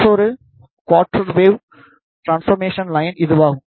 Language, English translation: Tamil, The, another quarter wave transformation line is this